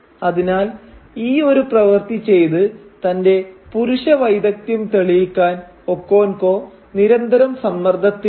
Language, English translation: Malayalam, And therefore Okonkwo is always under this tremendous pressure to prove his masculine prowess by acting it out